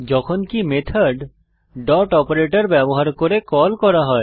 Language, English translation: Bengali, Whereas the Method is called using the dot operator